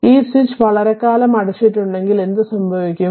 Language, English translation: Malayalam, So, when the switch was open for a long time